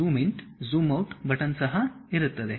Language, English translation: Kannada, There will be zoom in, zoom out buttons also will be there